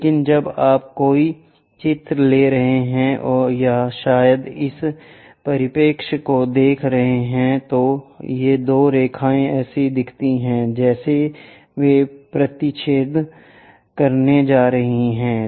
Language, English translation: Hindi, But when you are taking a picture or perhaps looking through this perspective drawing, these two lines looks like they are going to intersect